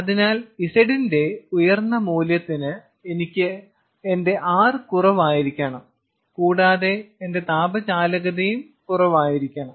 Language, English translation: Malayalam, ok, so for high value of zeta or for high value of z, my r needs to be low and my thermal conductance also needs to be low